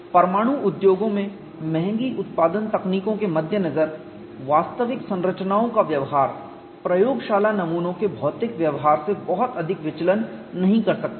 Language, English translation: Hindi, In view of costly production techniques in nuclear industries, the behavior of the actual structures may not deviate much from material behavior of laboratory specimens